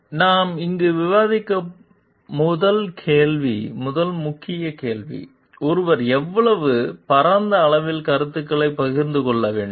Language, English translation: Tamil, So, the first key question that we will be discussing here is: how broadly should one share ideas